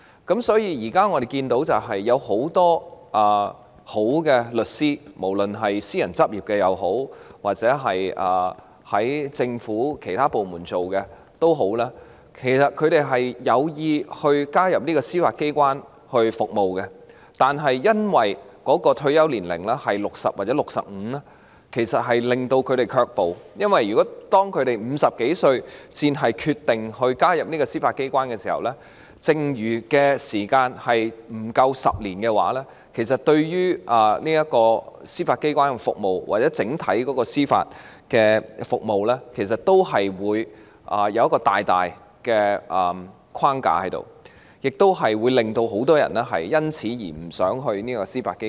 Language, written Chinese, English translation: Cantonese, 因此，現時我們看到很多優秀的律師——無論他們是私人執業或在政府其他部門工作——其實有意加入司法機關服務，但由於退休年齡是60歲或65歲而令他們卻步，因為若他們50多歲才決定加入司法機關，服務年期剩餘不足10年的話，這不但會對司法機關的服務或整體司法服務構成很大的限制，亦會令很多人因而不想加入司法機關。, Therefore we now see that many outstanding lawyers―be they in private practice or working in other government departments―are actually intent on joining and serving the Judiciary but they are deterred from doing so since the retirement ages are set at 60 or 65 . It is because if they decide to join the Judiciary in their fifties their remaining service period would be less than 10 years . This will not only pose grave constraints on the service of the Judiciary or the judicial service as a whole but also render a lot of people reluctant to join the Judiciary